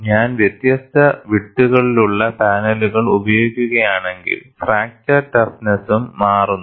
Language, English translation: Malayalam, If I use panels of different widths, fracture toughness also changes